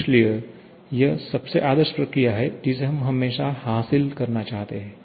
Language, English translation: Hindi, So, that is the most ideal process that we would always like to achieve